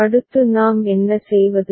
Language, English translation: Tamil, What we do next